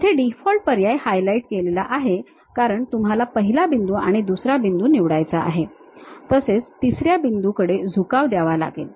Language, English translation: Marathi, The default option here is highlighted as you have to pick first point, second point, some inclination angle 3